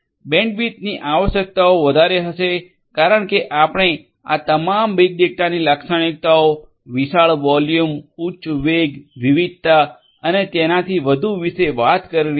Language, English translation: Gujarati, Bandwidth requirements for huge data volume will be there because you are talking about huge volume, high velocity, volume, variety, and so on all this big data characteristics